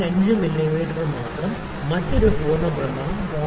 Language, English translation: Malayalam, 5 mm, another full rotation only 0